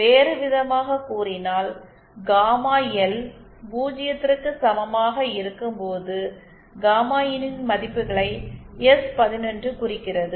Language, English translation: Tamil, In another words s11 represents the values of gamma IN when gamma L is equal to zero